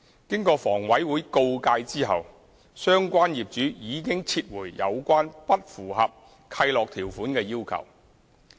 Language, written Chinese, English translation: Cantonese, 經房委會告誡後，相關業主已撤回有關不合乎契諾條款的要求。, Having been cautioned by HA the owners withdrew requests that were against the requirements under the covenants